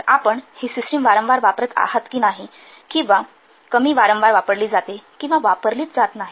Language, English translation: Marathi, So whether you use the system frequently use or less frequently used or don't use at all